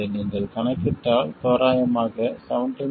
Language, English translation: Tamil, And if you calculate this it will come out to be approximately 17